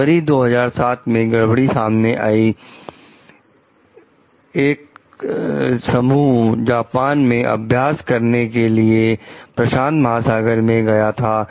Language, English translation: Hindi, The glitch came to light when in February 2007, a group of 10 Raptors headed across the pacific for exercises in Japan